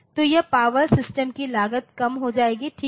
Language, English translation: Hindi, So, this power so, cost of the system will come down, ok